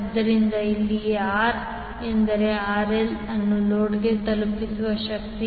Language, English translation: Kannada, So here, R means RL the power delivered to the load